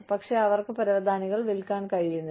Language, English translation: Malayalam, But, they are not able to sell the carpets